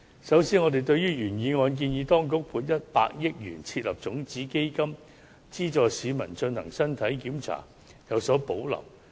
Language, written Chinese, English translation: Cantonese, 首先，對於原議案建議當局"撥款100億元設立種子基金，以資助市民進行身體檢查"，我們有所保留。, First we have reservations about a proposal in the original motion the proposal that the authorities should allocate 10 billion to set up a seed fund to subsidize the public to undergo physical check - ups